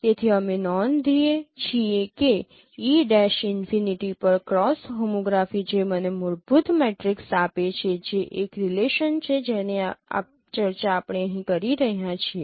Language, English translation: Gujarati, So we note E prime cross homography at infinity that gives you a fundamental matrix that is the relationship we have discussed here